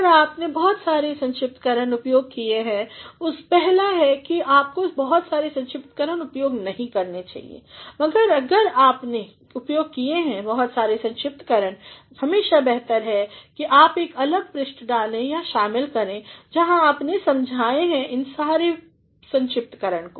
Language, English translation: Hindi, If, you have used too many abbreviations first is that you should not use too many abbreviations, but if you have used too many abbreviations it is always better that you attach or you include a separate page, where you have explained all these abbreviations